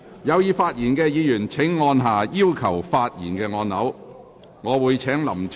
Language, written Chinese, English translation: Cantonese, 有意發言的議員請按下"要求發言"按鈕。, Members who wish to speak will please press the Request to speak button